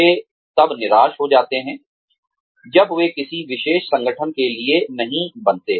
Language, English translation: Hindi, They get, so disheartened, when they do not make it to a particular organization